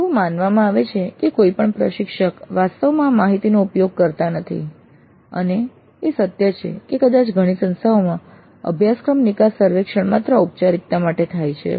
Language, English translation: Gujarati, The perception is that no instructor really uses this data and probably it is true in many institutes that the course exit survey is actually administered as a mere formality